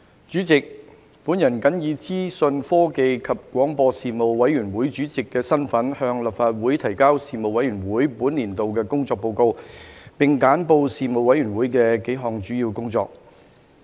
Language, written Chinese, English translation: Cantonese, 主席，我謹以資訊科技及廣播事務委員會主席的身份，向立法會提交事務委員會本年度的工作報告，並簡報事務委員會幾項主要工作。, President in my capacity as Chairman of the Panel on Information Technology and Broadcasting the Panel I submit to the Legislative Council the work report of the Panel for this session and briefly highlight its work in several key areas